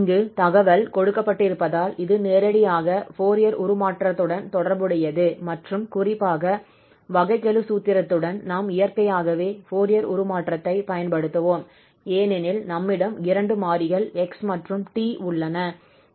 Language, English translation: Tamil, So naturally, since these informations are given here which are directly related to the Fourier transform and in particular to this derivative formula, we will naturally apply the Fourier transform with respect to x because now we have two variables here, x and t